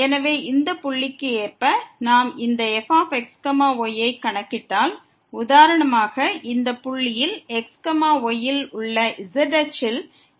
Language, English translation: Tamil, So, corresponding to this point, if we compute this , then for instance this is the point here the height this in along the z axis at this point of this function is